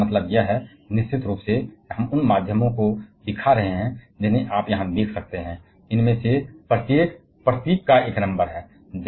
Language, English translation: Hindi, But that is means here of course, we are showing the means you can see here, each of these symbols are followed by one number